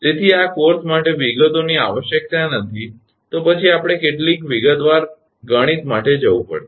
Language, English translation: Gujarati, So, details are not required for this course, then we have to go for detailed mathematics